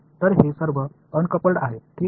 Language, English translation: Marathi, So, these are uncoupled alright